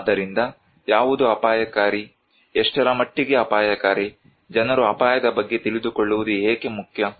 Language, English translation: Kannada, So what is risky, what extent something is risky, why risky is important for people to know